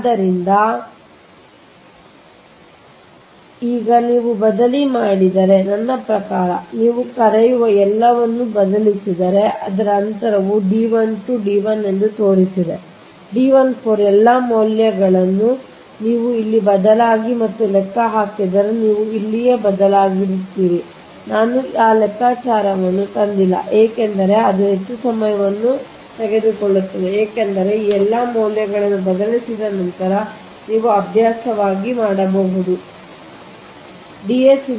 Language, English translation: Kannada, now, if you substitute, i mean if you substitute all this, what you call, just now i showed all this distance, that d one, two, d one, your d one, four, whatever you got all the, all this values you substitute here, right, if you substitute and calculate here i didnt bring those calculation because then it will kill more time this you can do as an exercise, right after substituting all this right, all all this values you will substitute, then what will happen